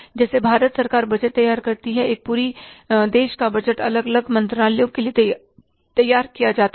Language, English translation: Hindi, As the government of India prepares the budgets, the budget of the country as a whole is prepared for the different ministries